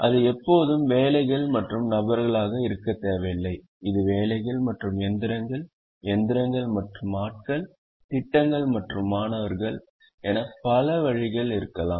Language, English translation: Tamil, it need not always be jobs and people, it can be jobs and machines, machines and people, projects and students, many ways, but an equal number of two different things